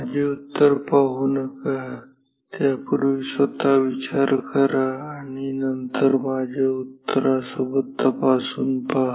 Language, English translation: Marathi, Do not watch my answer plus before that think yourself then verify with my answer ok